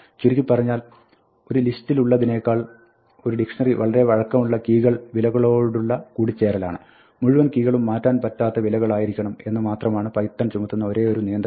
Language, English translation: Malayalam, To summarize, a dictionary is a more flexible association of values to keys than you have in a list; the only constraint that python imposes is that all keys must be immutable values